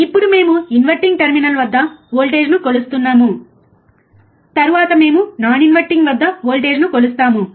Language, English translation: Telugu, Now we are measuring the voltage at inverting terminal, then we will measure the voltage at non inverting